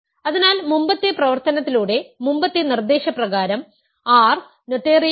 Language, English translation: Malayalam, Hence, by the previous exercise previous proposition, R is not noetherian